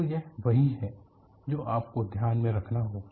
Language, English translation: Hindi, So, this is what you will have to keep in mind